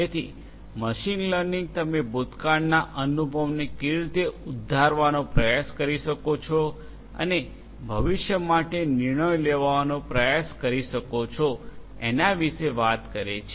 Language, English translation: Gujarati, So, machine learning talks about that how you can try to harness the experience from the past and try to make decisions for the future